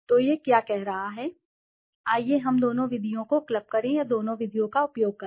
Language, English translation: Hindi, So what is it saying, let us club the both methods or use both the methods